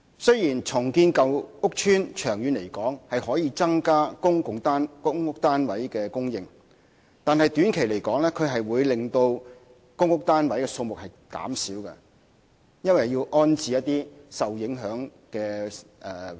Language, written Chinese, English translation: Cantonese, 雖然長遠而言，重建舊屋邨可以增加公屋單位的供應，但短期而言會令公屋單位數目減少，原因是要安置一些受影響的租戶。, Although in the long run redevelopment of old PRH estates can increase the supply of PRH units the number of PRH units will be reduced in the short run as the affected tenants have to be rehoused